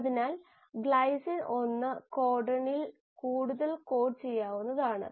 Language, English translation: Malayalam, So the glycine can be coded by more than 1 codon